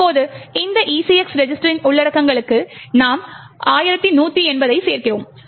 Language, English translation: Tamil, Now you add 1180 to the contents of this ECX register